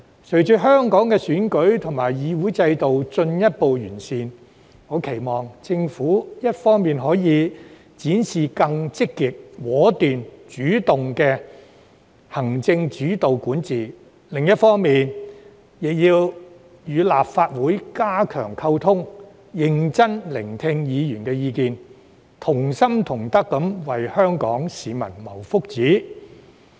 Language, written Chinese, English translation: Cantonese, 隨着香港的選舉和議會制度進一步完善，我期望政府一方面展示更積極、果斷、主動的行政主導管治，另一方面則與立法會加強溝通，認真聆聽議員的意見，同心同德為香港市民謀福祉。, With further improvement to the electoral and parliamentary systems of Hong Kong I hope the Government will on the one hand manifest its executive - led administration in a more positive decisive and proactive manner and strengthen communication with the Legislative Council on the other hand to listen carefully to the views of Members so that we can all work together with our heart and soul for the well - being of Hong Kong people . Let me go back to the details of the Bill